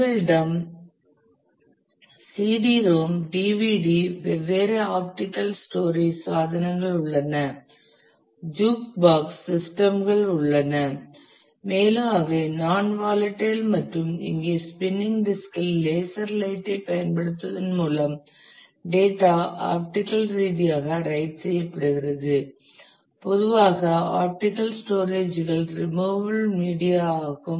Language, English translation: Tamil, We have different optical storage devices CD ROM, DVD and so, on the juke box systems and which are also non volatile and data is written optically here, that is by using a laser light on the spinning disk use a typically optical storages are removable media